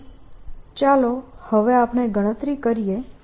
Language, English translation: Gujarati, so let us calculate that now